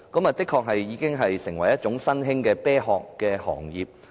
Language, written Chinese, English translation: Cantonese, 這的確已經成為新興的"啤殼行業"。, This has virtually created an emerging backdoor listing industry